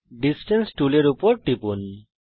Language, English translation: Bengali, Click on Distance tool